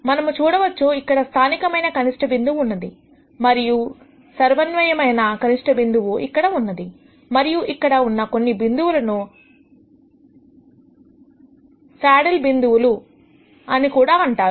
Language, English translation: Telugu, We also see that there is a local maximum here a global maximum here and there are also points such as these which are called the saddle points